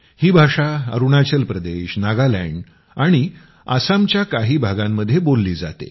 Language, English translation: Marathi, This language is spoken in Arunachal Pradesh, Nagaland and some parts of Assam